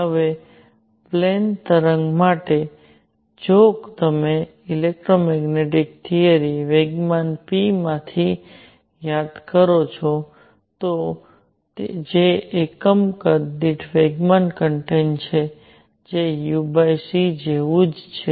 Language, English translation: Gujarati, Now for plane waves, if you recall from electromagnetic theory momentum p which is momentum content per unit volume is same as u over c